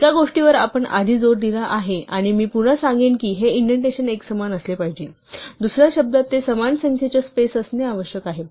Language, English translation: Marathi, One thing we have emphasized before and, I will say it again is that this indentation has to be uniform; in other words, it must be the same number of spaces